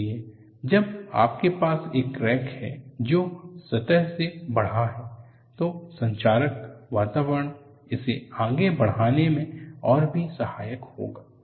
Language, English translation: Hindi, So, when you have crack that has grown from the surface, corrosive environment will precipitated further